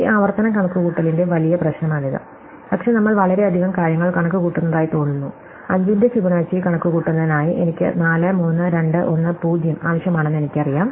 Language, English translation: Malayalam, So, this is the big problem with this recursive computation, that we seem to be computing too many things, see ideally in order to compute Fibonacci of 5 and I know I need 4, 3, 2, 1 and 0